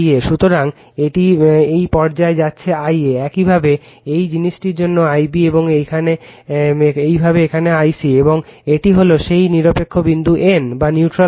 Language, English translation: Bengali, Similarly, for your this thing I b right, and similarly for here it is I c right, and this is that neutral point N